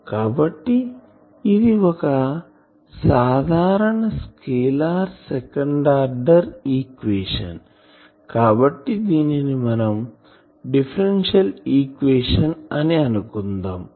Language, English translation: Telugu, So, this is a simple scalar second ordered equation, so differential equation